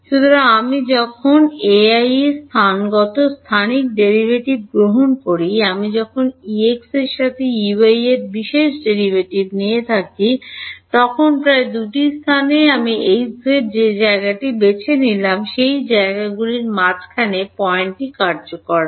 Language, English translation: Bengali, So, when I take the spatial the spatial derivative of E y right; when I take the special derivative of E y with respect to x, the approximation is valid at the midpoint of those 2 places which is where I have chosen H z to be